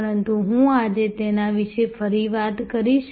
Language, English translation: Gujarati, But, I will talk about it again today